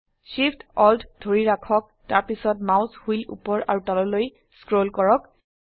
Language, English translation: Assamese, Hold Shift, Alt and scroll the mouse wheel up and down